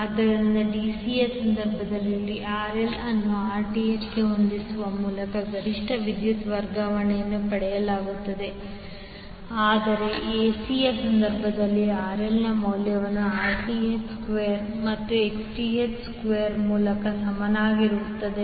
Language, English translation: Kannada, So, in case of DC, the maximum power transfer was obtained by setting RL is equal to Rth, but in case of AC the value of RL would be equal to under root of Rth square plus Xth square